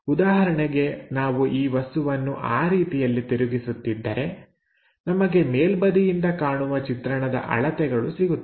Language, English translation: Kannada, For example, if we are rotating this object in that way, we are going to get this one as the dimension here for the top view